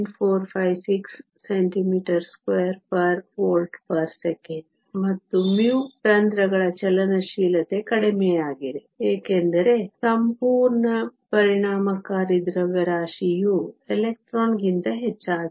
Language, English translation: Kannada, 456 meter square volts per second; and mu h the mobility of the holes is lower, because the whole effective mass is higher than that of the electron